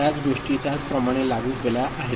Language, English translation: Marathi, Same thing is implemented in the same manner